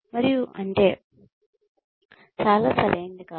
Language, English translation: Telugu, And, that is, I think, not very right